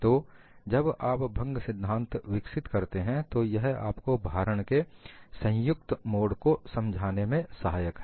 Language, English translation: Hindi, So, when you developed a fracture theory, it must help you to solve combined modes of loading also